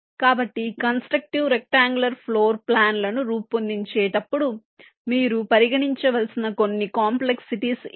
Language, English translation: Telugu, ok, so these are some complexities you need to consider while generating constructive, ah, rectangular floor plans